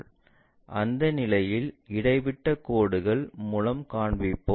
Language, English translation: Tamil, So, in that case we will show it by dashed lines